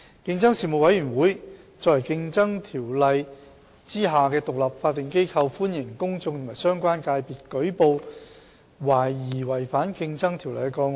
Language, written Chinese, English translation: Cantonese, 競爭事務委員會作為《競爭條例》下的獨立法定機構，歡迎公眾和相關界別舉報懷疑違反《競爭條例》的個案。, The Competition Commission is an independent statutory body established under the Competition Ordinance and it receives reports of potential contraventions of CO from the public and relevant sectors